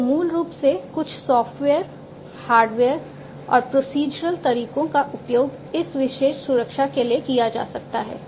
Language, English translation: Hindi, So, basically some software, hardware and procedural methods could be used for this particular protection